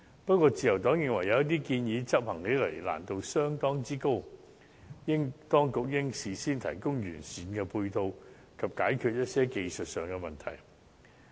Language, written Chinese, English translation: Cantonese, 不過，自由黨認為，有些建議執行的難度相當之高，當局應事先提供完善配套，以及解決一些技術問題。, However some of these suggestions are quite hard to implement and therefore necessitating the authorities provision of comprehensive ancillary support facilities and resolution of certain technical issues beforehand